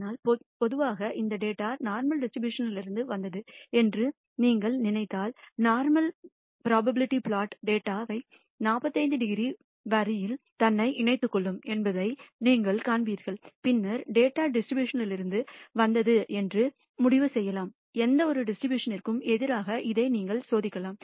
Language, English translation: Tamil, But typically if you find if you think that this data comes from the normal distribution, then you will find that in the normal probability plot the data will align itself on the 45 degree line and then you can conclude yes that the data has come from the distribution